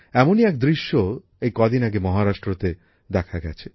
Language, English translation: Bengali, A similar scene was observed in Maharashtra just a few days ago